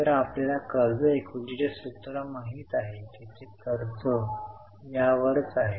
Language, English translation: Marathi, So, you know the formula in debt equity it is debt upon equity